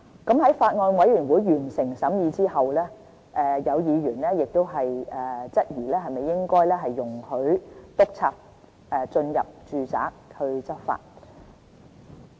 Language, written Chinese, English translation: Cantonese, 在法案委員會完成審議後，有議員質疑應否容許督察進入住宅執法。, After the Bills Committee finished its scrutiny some Members queried if inspectors should be allowed into domestic premises for law enforcement